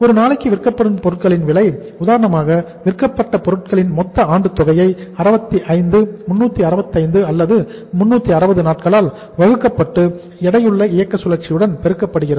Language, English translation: Tamil, Cost of goods sold per day is for example your cost of goods sold is whatever the total amount annual divided by the 65, 365 or 360 days and multiplied with the weighted operating cycle